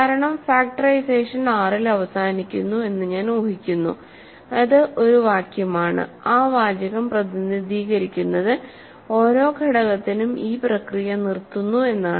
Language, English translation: Malayalam, Because I am assuming that factorization terminates in R that is a phrase, that that phrase represent says that for every element this process stops